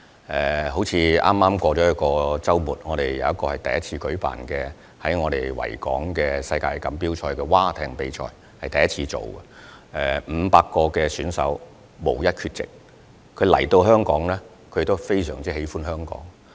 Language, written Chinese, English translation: Cantonese, 例如在剛過去的周末，本港首次在維港舉辦世界海岸賽艇錦標賽，參與的500名選手無一缺席，他們來到香港，亦很喜歡香港。, For example the 2019 World Rowing Coastal Championships was held at the Victoria Harbour for the first time during the last weekend . None of the 500 participants was absent . They came to Hong Kong and they liked Hong Kong a lot